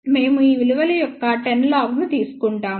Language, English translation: Telugu, We take the 10 log of these values